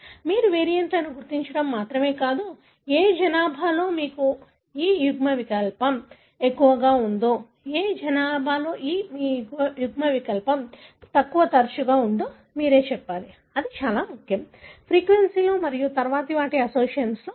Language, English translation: Telugu, Like it is not only you identify variants, but you need to tell in which population you have this allele more frequent and which population you have this allele less frequent; that is very important, the frequency and then to tell their associations